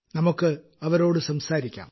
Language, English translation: Malayalam, Let's speak to her